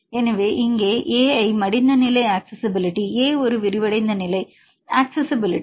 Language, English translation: Tamil, So, here Ai folded is the folded state accessibility A unfolded is unfolded state accessibility